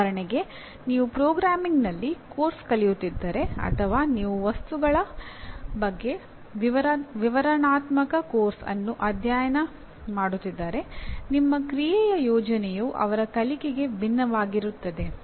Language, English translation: Kannada, For example if you are learning a course in programming or if you are studying a descriptive course on materials your plan of action will be different for learning